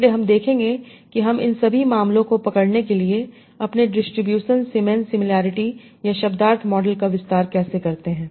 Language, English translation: Hindi, So we will see how do we extend our distribution similarity or semantics model to also capture all these cases